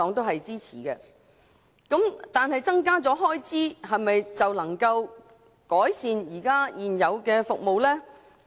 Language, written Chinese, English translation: Cantonese, 然而，增加開支是否就能改善現有服務？, However will the existing services improve simply by increasing expenditure?